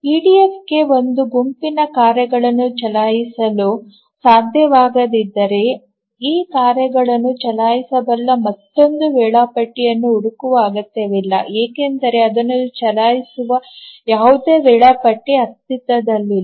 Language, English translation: Kannada, So, if EDF cannot run a set of tasks, it is not necessary to look for another scheduler which can run this task because there will exist no scheduler which can run it